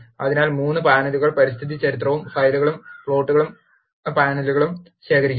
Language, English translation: Malayalam, So, 3 panels console environmental history and files and plots panels are there